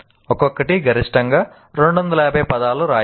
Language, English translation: Telugu, Just write maximum 250 words each